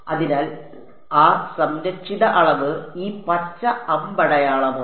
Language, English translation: Malayalam, So, that conserve quantity is this green arrow over here